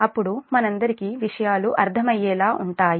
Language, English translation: Telugu, then things will be understandable for all of us, right